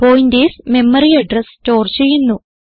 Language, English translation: Malayalam, Pointers store the memory address